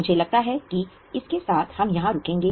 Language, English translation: Hindi, I think with this we will stop here